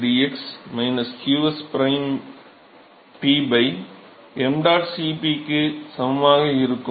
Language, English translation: Tamil, So, dTm by dx will be equal to minus qs prime P by m dot Cp